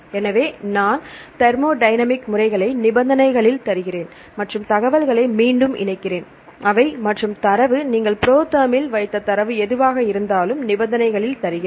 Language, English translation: Tamil, So, I give thermodynamic methods in conditions and reattach information, they and the data, whatsoever the data you put in the ProTherm